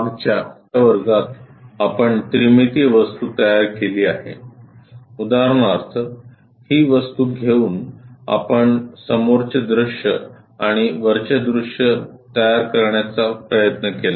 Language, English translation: Marathi, In the last class we have constructed a three dimensional object; for example, taking this one taking this object we tried to construct front view and top view